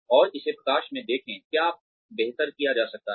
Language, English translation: Hindi, And, see it in light of, what can be done better